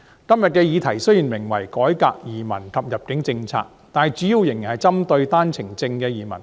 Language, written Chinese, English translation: Cantonese, 今天的議題雖然名為"改革移民及入境政策"，但主要仍然是針對單程證移民。, While the topic for discussion today is Reforming the immigration and admission policies the main focus is still on OWP entrants